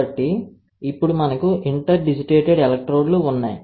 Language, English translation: Telugu, So, now, we have interdigitated electrodes